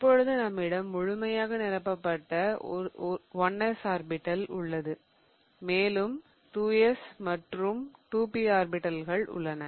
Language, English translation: Tamil, Then I have 2s orbital and then I have 2p orbitals